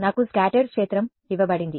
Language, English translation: Telugu, I am given the scattered field